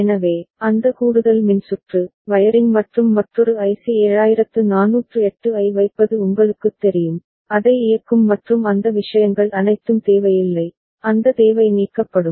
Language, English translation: Tamil, So, that additional circuitry, wiring and you know putting another IC 7408, powering it and all those things are not required and that need is eliminated